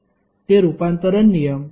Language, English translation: Marathi, What is that conversion rule